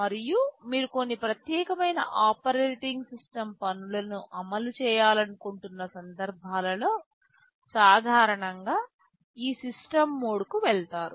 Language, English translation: Telugu, And there are instances where you want to run some privileged operating system tasks, and for that you typically go to this system mode